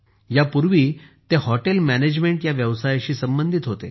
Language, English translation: Marathi, Earlier he was associated with the profession of Hotel Management